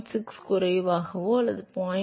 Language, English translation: Tamil, 6 less or 0